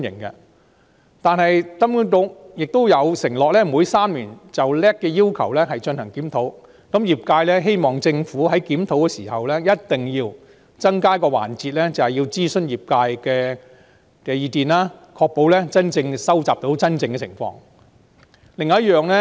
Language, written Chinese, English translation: Cantonese, 然而，金管局亦承諾每3年就 LAC 的要求進行檢討，業界希望政府在檢討時一定要增加一個諮詢業界意見的環節，確保能收集反映真實情況的資料。, Nevertheless HKMA also undertook to conduct a review of the LAC requirements every three years . The industry hopes that the Government definitely adds a consultation session to gauge the views of the industry during the review exercise in order to ensure that information reflecting the real situation will be collected